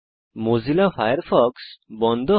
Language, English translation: Bengali, Mozilla Firefox shuts down